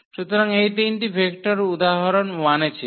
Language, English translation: Bengali, So, these were the three vectors from example 1